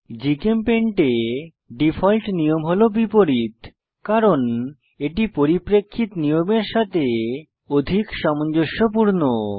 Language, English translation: Bengali, Default convention in GChemPaint is inverse, because it is more consistent with the perspective rules